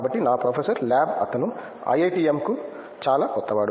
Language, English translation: Telugu, So, my professor's lab he his actually, he is very new to the IITM